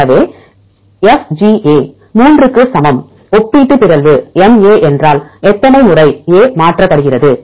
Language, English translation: Tamil, So, FGA equal to 3, what is relative mutability MA how many times A is mutated